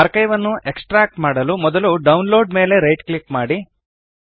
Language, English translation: Kannada, To extract the archive, first right click on the download